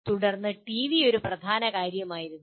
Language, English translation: Malayalam, Subsequently TV was a dominant thing